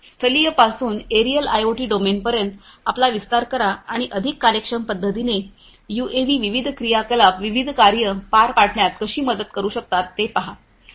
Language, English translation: Marathi, Extend you from terrestrial to the aerial IoT domain and see how UAVs can help accomplish different activities, different tasks, execute different tasks, in a much more efficient manner